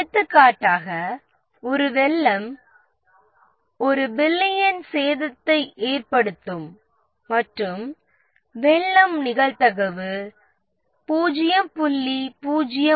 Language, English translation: Tamil, For example, a flood would cause 1 billion of damage and the probability of the flood occurring is